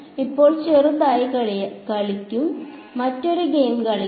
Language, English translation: Malayalam, Now, will play small will play yet another game